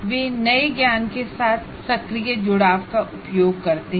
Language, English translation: Hindi, And they use active engagement with the new knowledge